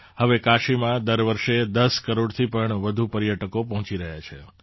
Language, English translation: Gujarati, Now more than 10 crore tourists are reaching Kashi every year